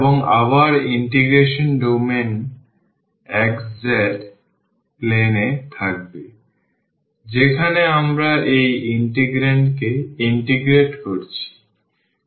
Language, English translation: Bengali, And, again the domain of the integration will be in the xz plane where we are integrating the will be integrating this integrand